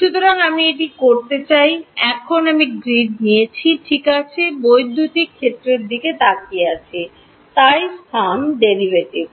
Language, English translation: Bengali, So, it is this is what I want to do; now I am looking at electric fields on the grid ok; so space derivatives